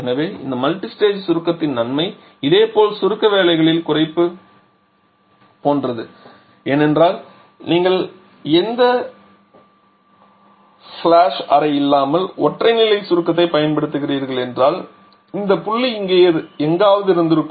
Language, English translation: Tamil, So, the advantage of this multistage compression is like a similarly a reduction in the compression work because had you been using the single stage compression without any flash chamber then this point would have been somewhere here just by expanding this we would have got the final point 4 prime maybe somewhere here